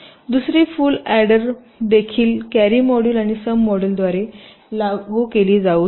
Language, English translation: Marathi, the second full order can also be implemented by a carry module and a sum module, and so on